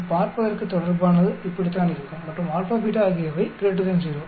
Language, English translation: Tamil, So this is how the relationship will look like and alpha and beta are greater than 0